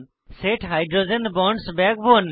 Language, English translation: Bengali, Set Hydrogen Bonds in the Backbone